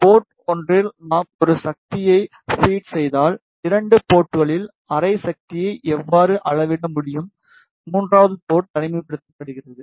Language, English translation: Tamil, If we feed a power at port one, how we can measure half power at two ports and the third port is isolated